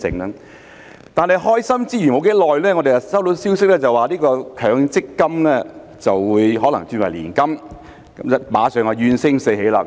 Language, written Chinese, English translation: Cantonese, 不過，開心之餘，不久後我們便收到消息指強積金可能轉為年金，馬上怨聲四起。, However the joyful mood is soon followed by widespread discontent at the news that Mandatory Provident Fund MPF schemes may be converted into annuity plans